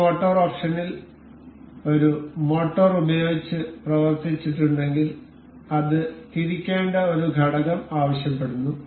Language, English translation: Malayalam, In this motor option, this asks for a component that has to be rotated if it were acted upon by a motor